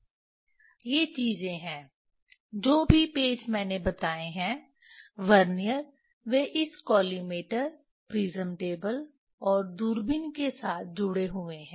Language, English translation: Hindi, These things are whatever the screws I mention, Vernier they are attached with this with this collimator prism table and telescope